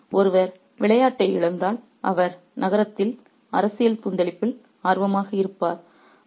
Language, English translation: Tamil, So, if one person is losing the game, he would be interested in the political turmoil in the city